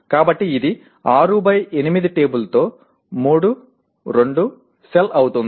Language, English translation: Telugu, So it will be 3, 2 cell of the 6 by 8 table